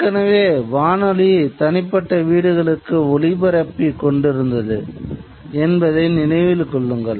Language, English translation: Tamil, Remember already the radio was transmitting to individual homes but it was only transmitting voice